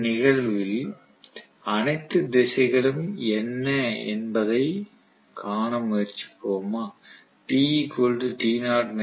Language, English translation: Tamil, So let us try to see what are all the directions at this instant